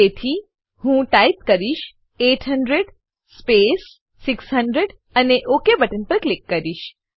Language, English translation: Gujarati, So I will type 800 space 600 and click on OK button